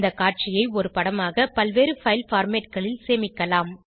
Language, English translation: Tamil, We can save this view as an image in various file formats